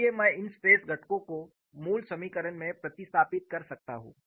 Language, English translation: Hindi, So, I can substitute these stress components in the basic equation